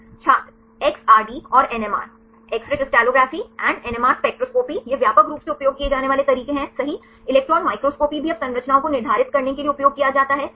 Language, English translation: Hindi, XRD and NMR X ray crystallography and NMR spectroscopy these are the widely used methods right electron microscopy also now used for determine the structures right